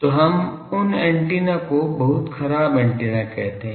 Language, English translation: Hindi, So, those antennas we call it is a very bad antenna